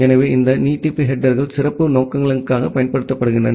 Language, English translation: Tamil, So, these extension headers are used for special purposes